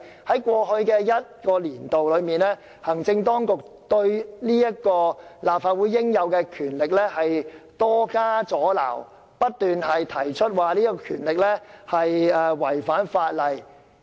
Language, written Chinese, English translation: Cantonese, 在過去一個年度，行政當局對立法會這種應有的權力多加阻撓，不斷提出此權力違反法例。, However in the past year the executive authorities had incessantly challenged this inherent power of the Legislative Council claiming such a power was unlawful